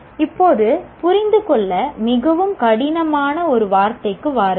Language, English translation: Tamil, Now come to one of the more difficult word understand